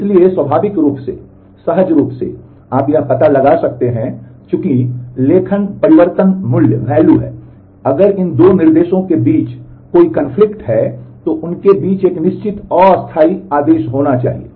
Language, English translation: Hindi, So, naturally intuitively, you can figure out that since the write changes are value that if there is a conflict between these 2 instructions then there must be a fixed temporal order between them